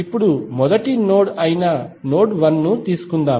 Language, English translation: Telugu, Now, let us take the first node that is node 1